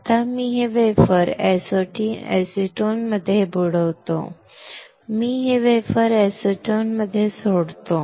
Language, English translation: Marathi, Now, I will dip this wafer in acetone, I will leave this wafer in acetone